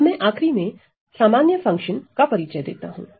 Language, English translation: Hindi, So, then finally, I want to introduce the so, called ordinary function